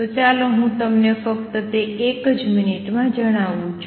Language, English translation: Gujarati, So, let me just tell you that also in a minute